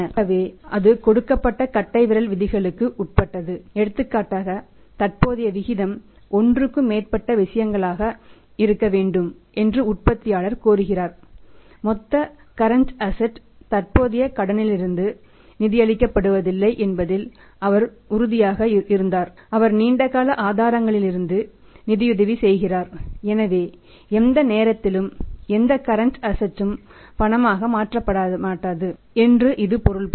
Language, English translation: Tamil, So, it is within the given rules of thumb say for example the manufacturer also demands the current ratio has to be more than one thing that case he was sure about that the total current assets are not being finance from the current liabilities